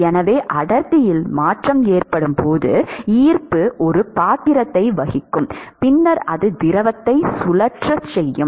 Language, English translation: Tamil, So, when there is change in the density, then gravity will play a role, and then it is going to make the fluid to circulate and that is going to cause some convection